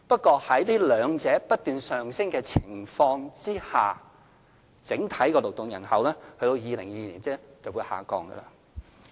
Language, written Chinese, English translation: Cantonese, 可是，在這兩者皆不斷上升的情況下，整體勞動人口到2022年仍會下降。, Despite the increase in these two sectors of the workforce the overall workforce will decrease by 2022